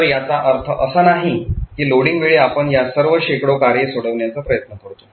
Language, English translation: Marathi, So, it does not make sense that at loading time we try to resolve all of these hundreds of functions